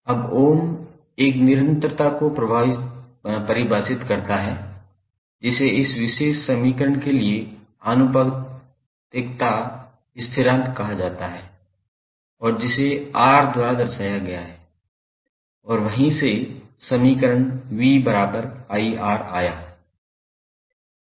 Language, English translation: Hindi, Now, Ohm define one constant, which is called proportionality constant for this particular equation and that was represented by R and from there the equation came like V is equal to R into I